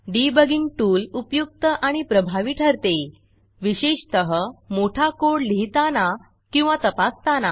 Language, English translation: Marathi, This powerful debugging tool is very useful, especially when you have to code or test large programs